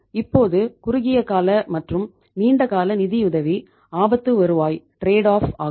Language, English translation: Tamil, Now short term versus long term financing are risk return trade off